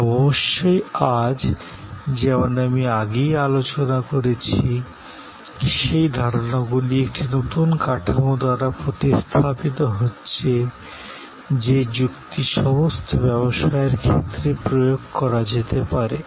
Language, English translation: Bengali, But, of course, today as I have already discussed earlier, today those concepts are being replaced by a new framework, which can be applied as a logic to all businesses